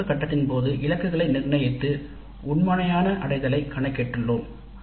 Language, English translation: Tamil, We have set the targets during the design phase and now we compute the actual attainment